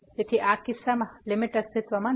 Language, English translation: Gujarati, So, in this case the limit does not exist